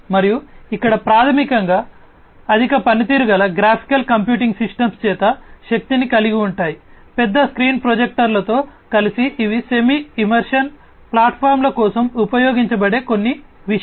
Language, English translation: Telugu, And here basically these are powered by high performance graphical computing systems, coupled with large screen projectors these are some of the things that are used for semi immersive platforms